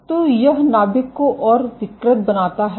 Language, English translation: Hindi, So, this makes the nuclei mode deformable